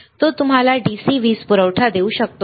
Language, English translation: Marathi, Can it give you DC power supply